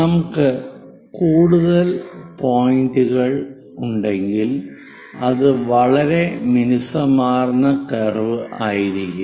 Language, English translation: Malayalam, If we have more number of points, it will be very smooth curve